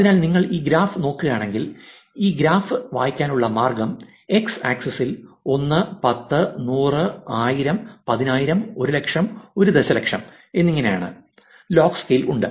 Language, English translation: Malayalam, So, if you look at this graph the way to read this graph is on the x axis is the log scale, which is 1, 10, 100, 1000, 10000, 100000 and 1 million